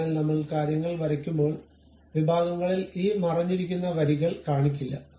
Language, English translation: Malayalam, So, at sections when we are really drawing the things we do not show these hidden kind of lines